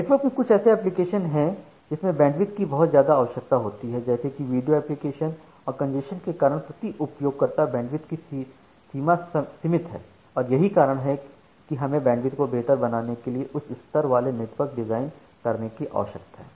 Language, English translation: Hindi, Now some applications in the network are bandwidth hungry such as this video applications and congestion limits per user bandwidth and that is why we need to design networks with high capacity to improve the bandwidth